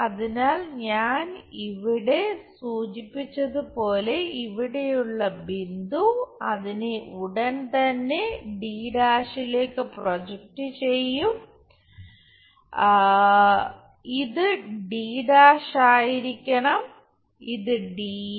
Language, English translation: Malayalam, So, as I mentioned point is here project that straight away to a’ D’ this supposed to be D’ and this is d small d